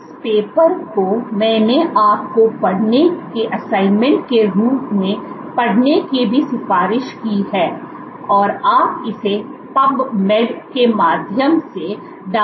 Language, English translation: Hindi, This paper I have also recommended you to read as a reading assignment you can download it through PubMed